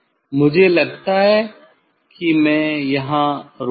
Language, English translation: Hindi, I think I will stop here